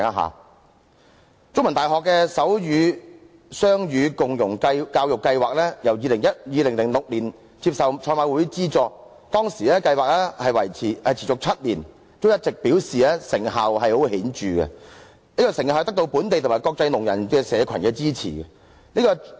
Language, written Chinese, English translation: Cantonese, 香港中文大學的手語雙語共融教育計劃於2006年接受賽馬會資助，計劃持續了7年，一直都表示成效十分顯著，並得到本地及國際聾人社群的支持。, The Centre for Sign Linguistics and Deaf Studies of The Chinese University of Hong Kong started the Sign Bilingualism and Co - enrolment in Deaf Education Programme with funding from the Hong Kong Jockey Club in 2006 . The Programme has lasted seven years up to now and they have been saying that the Programme can yield marked success and win the support of deaf communities locally and overseas